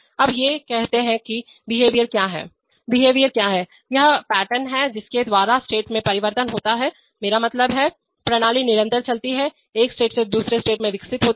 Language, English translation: Hindi, Now these states, what is behavior, behavior is the, is the pattern by which states change from the, I mean, system continuously moves, evolves from one state to another